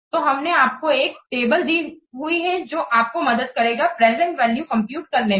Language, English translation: Hindi, So, we have given you a table which will help you for computing the present values